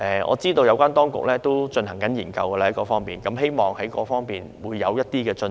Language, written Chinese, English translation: Cantonese, 我知道有關當局已就這方面進行研究，希望會有一些進展。, I know that the relevant authorities have conducted research in this regard and hope that there will be some progress